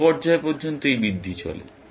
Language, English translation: Bengali, Till what stage, this propagation goes